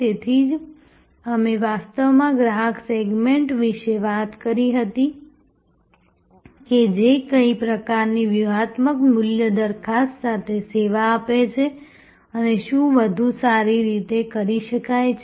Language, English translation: Gujarati, That is why we actually talked about the customer segment served and served with what kind of strategic value proposition and what can be done better